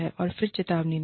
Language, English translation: Hindi, And then, give a warning